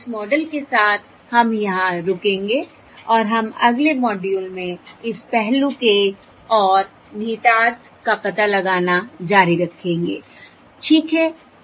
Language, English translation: Hindi, So with this model, we will stop here and we will continue to explore this aspect and implications of this aspect in the next module